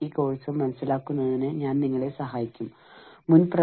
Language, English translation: Malayalam, I will be helping you, with this course